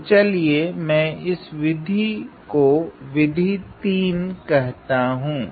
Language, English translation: Hindi, So, let me call that this is; this is my method 3